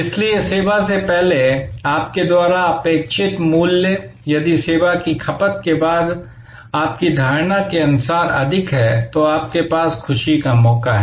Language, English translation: Hindi, So, value that you expected before you approach the service, if that is exceeded as per your perception after the service consumption, then you have a chance for delighting